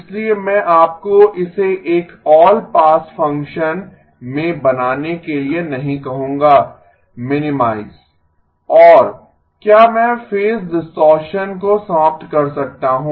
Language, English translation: Hindi, So I am not going to ask you to make it into an all pass function, minimize and can I phase distortion eliminate